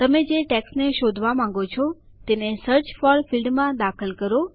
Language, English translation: Gujarati, Enter the text that you want to search for in the Search for field